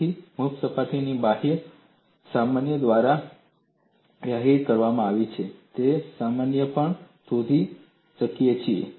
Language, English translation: Gujarati, So, free surface is defined by outward normal and that normal also we can find out